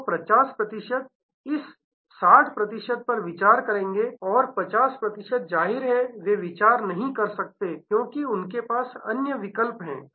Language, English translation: Hindi, So, 50 percent will consider of this 60 percent and 50 percent; obviously, they cannot consider, because they have different other options